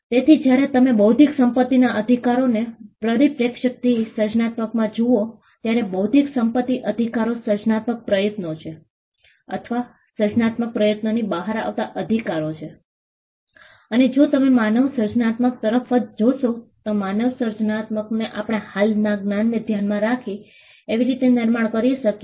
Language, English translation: Gujarati, So, when you look at creativity from the perspective of intellectual property rights, intellectual property rights are creative endeavors or rather the rights that come out of creative endeavors and if you look at human creativity itself human creativity can be attributed to how we build on existing knowledge